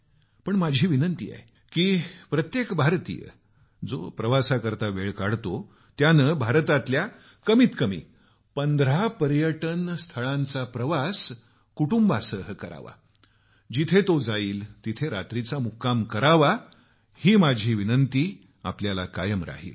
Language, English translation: Marathi, But my appeal is, that every Indian who takes out time to travel must visit at least 15 Tourist Destinations of India with family and experience a night stay at whichever place you go to; this still remains my appeal